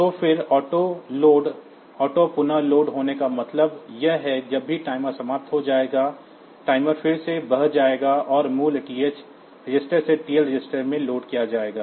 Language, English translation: Hindi, So, then auto reload; auto reload means whenever the timer will expire timer will overflow, then again, the value will be loaded from TH register to the TL register